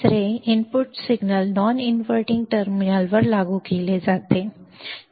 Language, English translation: Marathi, Third, the input signal is applied to the non inverting terminal